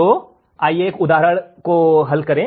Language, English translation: Hindi, So, let us solve an example